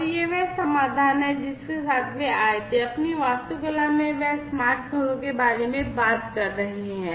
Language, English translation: Hindi, And this is this solution they came up with, in their architecture they are talking about smart homes